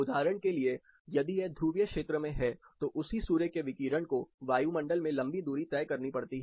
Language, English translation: Hindi, For example, if it is in the polar region, the same sun’s radiation has to traverse a long distance across the atmosphere cutting through